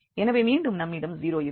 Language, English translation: Tamil, So, they become same and that means this is 0